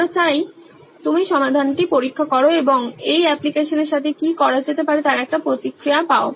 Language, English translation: Bengali, We would like you to test the solution and get a feedback what can be done with this application